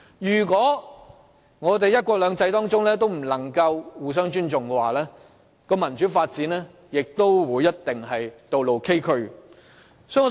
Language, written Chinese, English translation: Cantonese, 如果我們仍不能在"一國兩制"下互相尊重，民主發展的道路亦一定會崎嶇不平。, If mutual respect is still absent even under one country two systems it will mean a bumpy road ahead towards democratic development